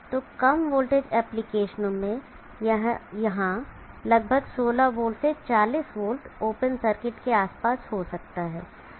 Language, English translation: Hindi, So in low voltage applications this here may be around 60v to 40v open circuit